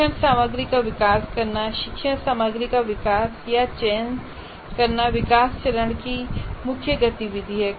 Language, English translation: Hindi, And develop instructional materials and develop or select learning materials is the main activity of development phase